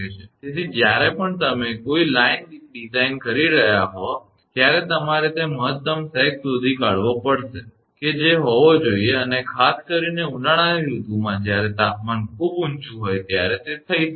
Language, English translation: Gujarati, So, whenever you are designing a line you have to you have to find out the maximum sag what can happen and that can happen when temperature is very high particularly in a summer season